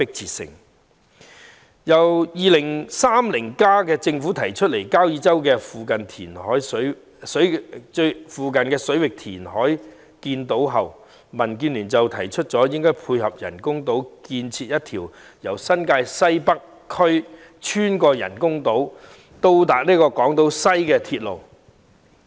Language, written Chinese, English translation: Cantonese, 自政府的《香港 2030+： 跨越2030年的規劃遠景與策略》提出在交椅洲附近水域填海建島後，民建聯提出應配合人工島建設一條由新界西北穿越人工島至港島西的鐵路。, Since the Government proposed in the Hong Kong 2030 Towards a Planning Vision and Strategy Transcending 2030 the creation of islands by reclamation in the waters near Kau Yi Chau DAB has been calling for the construction of to tie in with the creation of artificial islands a railway connecting Northwest New Territories and Hong Kong Island West via such islands